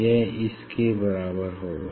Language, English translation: Hindi, this will be equal to these